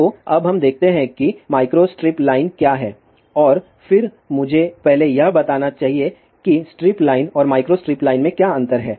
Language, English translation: Hindi, So, now let us just see; what is a micro strip line and then let me first tell; what are the differences between a strip line and micro strip line